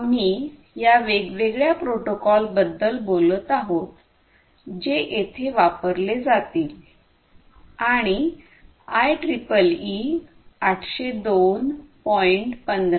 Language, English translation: Marathi, So, we are talking about these different protocols that will be used over here and IEEE 802